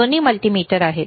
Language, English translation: Marathi, Both are multimeters